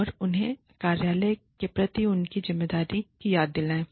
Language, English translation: Hindi, And, remind them, of their responsibilities, to the office